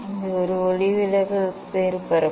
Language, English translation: Tamil, this the refracting surface